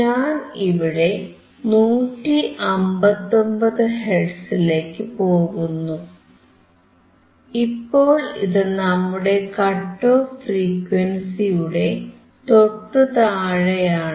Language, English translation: Malayalam, If I go for 159 hertz, it is decreasing, because now this is slightly below our cut off frequency